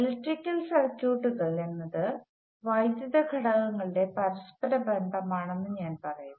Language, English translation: Malayalam, I have just put down that electrical circuits are interconnections of electrical components